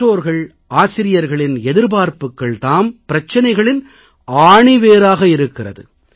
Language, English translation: Tamil, Expectation on the part of parents and teachers is the root cause of the problem